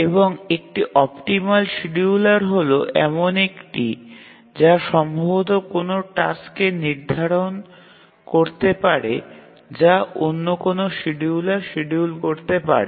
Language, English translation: Bengali, And an optimal scheduler is one which can feasibly schedule a task set which any other scheduler can schedule